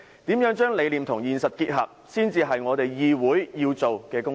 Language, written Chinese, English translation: Cantonese, 如何將理念和現實結合，才是議會要做的工作。, It is the task of the legislature to converge vision with reality